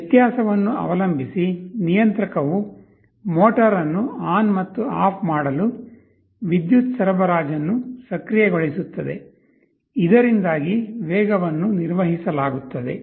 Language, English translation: Kannada, Depending on the difference the controller will be activating the power supply of the motor to turn it on and off, so that speed is maintained